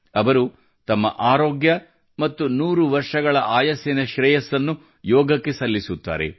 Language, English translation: Kannada, She gives credit for her health and this age of 100 years only to yoga